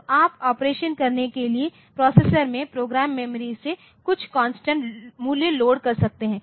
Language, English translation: Hindi, So, you can load some constant value from program memory into the processor for doing operation